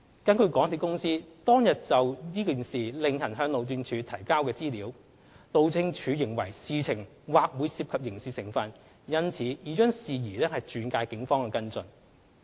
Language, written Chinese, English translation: Cantonese, 根據港鐵公司當天就此事另行向路政署提交的資料，路政署認為事情或會涉及刑事成分，因此已將事宜轉介警方跟進。, According to the information provided by MTRCL separately to HyD HyD considers that the matter may involve criminality and HyD has therefore referred the matter to the Police for follow - up action